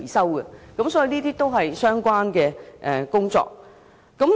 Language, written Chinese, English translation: Cantonese, 我們認為這些也是相關的工作。, We consider that this area of work is relevant too